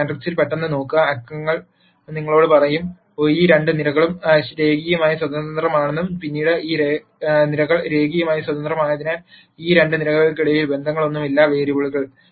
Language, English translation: Malayalam, A quick look at this matrix and the numbers would tell you that these two columns are linearly independent and subsequently because these columns are linearly independent there can be no relationships among these two variables